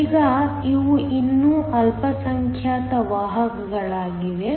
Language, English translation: Kannada, Now, these are still minority carriers